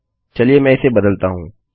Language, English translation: Hindi, Let me change this